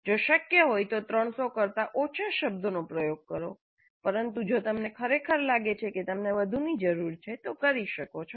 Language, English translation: Gujarati, If possible please use less than 300 words but if you really feel that you need more, fine